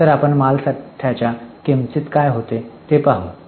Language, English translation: Marathi, So, now we will look at what goes into the cost of inventory